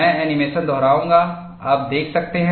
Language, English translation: Hindi, I will repeat the animation, so you could see